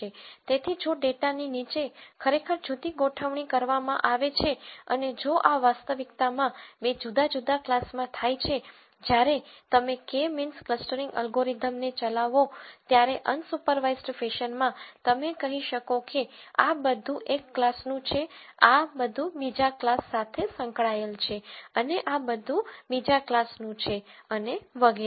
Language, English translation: Gujarati, So, though underneath the data is actually organized differently and if these happen to be two different classes in reality, in an unsupervised fashion when you run the K means clustering algorithm, you might say all of this belongs to one class, all of this belongs to another class, and all of this belongs to another class and so on so